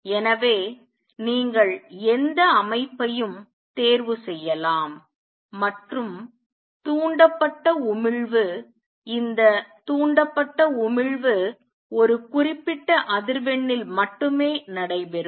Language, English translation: Tamil, So, you can choose any system and the stimulated emission will take place only for that particular frequency with which you are doing this stimulated emission